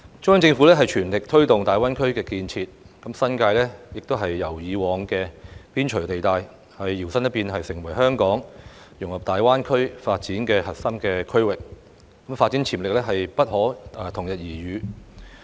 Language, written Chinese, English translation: Cantonese, 中央政府全力推動大灣區建設，新界亦由以往的邊陲地帶，搖身一變成為香港融入大灣區發展的核心區域，發展潛力不可同日而語。, With vigorous promotion of the development of GBA by the Central Government the New Territories have transformed from a previously peripheral area into the core districts for Hong Kongs integration into the development of GBA with unparalleled development potential